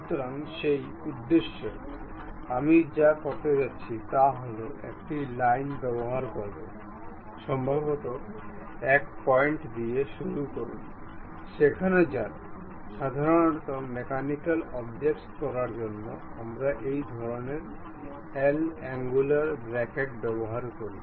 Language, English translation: Bengali, So, for that purpose, what I am going to do is, use a line, maybe begin with one point, go there; typically to support mechanical object, we use this kind of L angular brackets